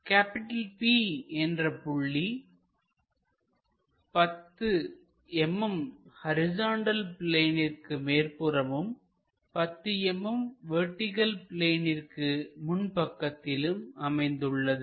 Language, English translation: Tamil, It is end P is 10 mm above horizontal plane and 10 mm in front of vertical plane